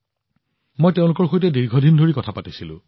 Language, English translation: Assamese, I also talked to them for a long time